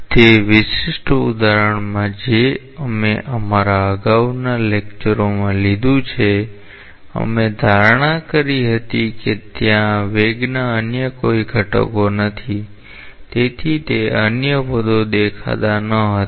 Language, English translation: Gujarati, In that special example which we took up in our earlier lectures we consider there is no other velocity components; therefore, those other terms were not appearing